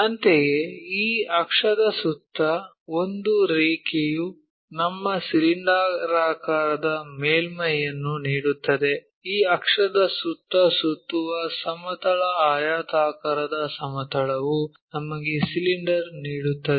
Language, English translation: Kannada, Similarly, a line revolves around this axis give us cylindrical surface; a plane rectangular plane revolving around that axis gives us a cylinder